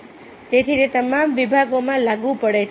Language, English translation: Gujarati, so therefore, it is applicable to all the departments